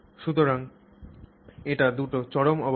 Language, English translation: Bengali, So, these are two extremes